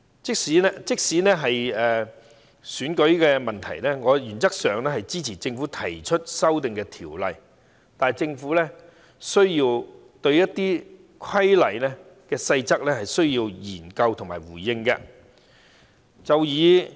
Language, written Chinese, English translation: Cantonese, 即使在選舉的問題上，我原則上支持政府提出的《條例草案》，但政府亦需要就一些規例的細則作出研究和回應。, On the issue of election I support in principle the Bill proposed by the Government but the Government has to conduct studies on certain details of regulation and respond accordingly